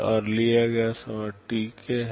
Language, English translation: Hindi, And the time taken is Tk